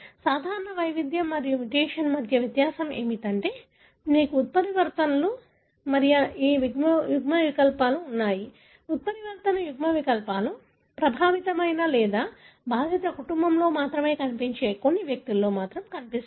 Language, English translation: Telugu, The difference between the common variant and the mutation is, you have mutations and these alleles, the mutant alleles are seen only in a few individual who are affected or seen only in the affected family